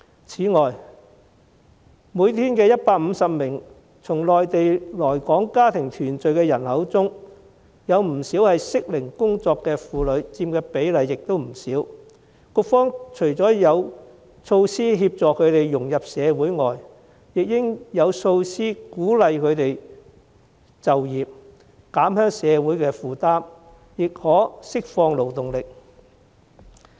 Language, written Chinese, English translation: Cantonese, 此外，每天150名從內地來港家庭團聚的人口中，適齡工作的婦女所佔的比例亦不少，局方除了應有措施協助她們融入社會外，亦應有措施鼓勵她們就業，在減輕社會負擔之餘，亦可釋放勞動力。, In addition of the 150 people who come from the Mainland to Hong Kong for family reunion each day working - age women account for a large percentage . Apart from introducing measures to help them integrate into society the authorities should also put in place measures to encourage them to seek employment . This will not only ease the burden on society but also release them to join the labour market